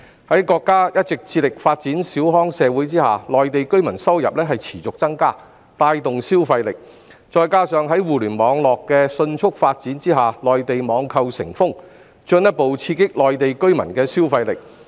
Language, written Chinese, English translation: Cantonese, 由於國家一直致力發展小康社會，內地居民的收入持續增加，並帶動消費力；加上互聯網迅速發展，內地網購成風，進一步刺激內地居民的消費力。, As the country has been committed to build a moderately prosperous society the income of Mainland residents has grown sustainably and boosted consumption power . Coupled with the rapid development of the Internet and the popularity of online shopping in the Mainland the consumption power of Mainland residents has been further stimulated